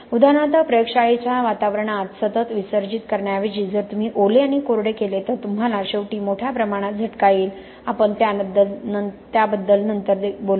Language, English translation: Marathi, For example even in the lab environment instead of continuous immersion if you do wetting and drying you will ultimately get a larger level of attack, we will talk about that later also